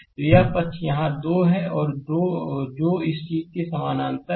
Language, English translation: Hindi, So, this side here, it is 2 ohm that is the parallel of this thing